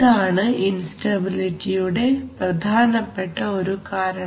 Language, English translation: Malayalam, And this is one of the prime causes of instability so that is something